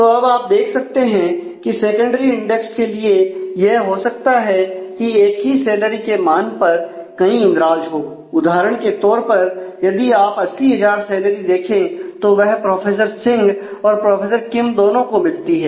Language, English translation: Hindi, So, you can see that for secondary index now it is quite possible that there are multiple entries for the same value of salary for example, if you look at the salary eighty thousand that is received by Professor Singh as well as Professor Kim